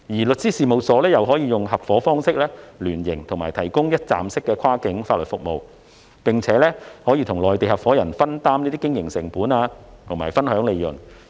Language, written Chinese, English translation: Cantonese, 律師事務所可以合夥方式聯營，提供一站式跨境法律服務，並與內地合夥人分擔經營成本和分享利潤。, Law firms in the form of association with Mainland partners can provide one - stop cross - border legal services and share operating costs and profits with their Mainland partners